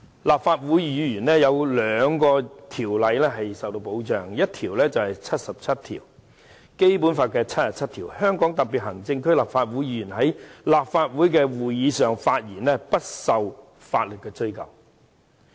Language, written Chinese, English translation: Cantonese, 立法會議員受到兩項法律條文保障，第一項是《基本法》第七十七條，該條訂明："香港特別行政區立法會議員在立法會的會議上發言，不受法律追究。, Members of the Legislative Council are protected by two provisions in law . First it is Article 77 of the Basic Law which stipulates that Members of the Legislative Council of the Hong Kong Special Administrative Region shall be immune from legal action in respect of their statements at meetings of the Council